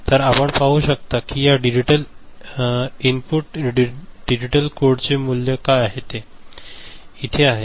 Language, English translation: Marathi, So, you see for what value of this input digital code, this value is there